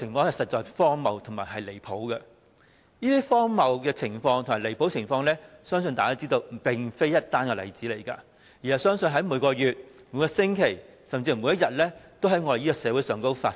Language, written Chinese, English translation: Cantonese, 這種荒謬離譜的情況，相信大家也知道並非單一例子。我相信在每個月、每個星期，甚至每天都在香港社會上發生。, I believe Members all know that this is not the only case of such absurdity and I think it happens in Hong Kong society every month every week or even every day